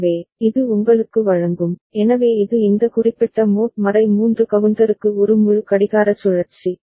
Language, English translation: Tamil, So, it will give you, so this is one full clock cycle for this particular mod 3 counter